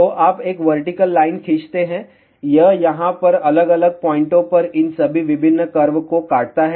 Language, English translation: Hindi, So, you draw a vertical line, it cuts all these different curves at different points over here